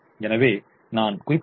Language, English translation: Tamil, so what i mentioned happens